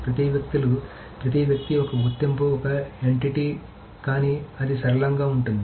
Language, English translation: Telugu, So every person is an identity, as an entity, but it can be flexible